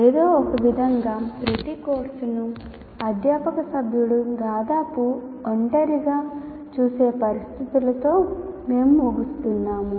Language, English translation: Telugu, Somehow we have been ending up with this situation where each course is looked at by a faculty member almost in isolation